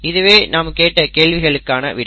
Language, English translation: Tamil, So that is the answer to the question